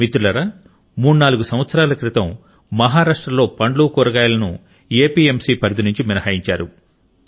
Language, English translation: Telugu, Friends, about three or four years ago fruits and vegetables were excluded from the purview of APMC in Maharashtra